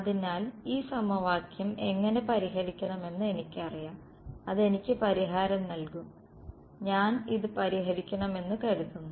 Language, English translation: Malayalam, So, I know how to solve this equation it will give me the solution will be what supposing I want to solve this